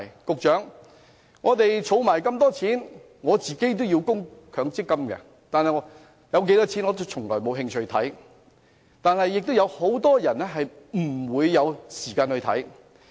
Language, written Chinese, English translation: Cantonese, 司長，我們都要作出強積金供款，但戶口有多少錢，我從來都沒興趣理會，很多人則沒有時間理會。, Financial Secretary we all have to make contributions to MPF . I do not care how much money I have in my MPF account while many others do not have the time to manage their accounts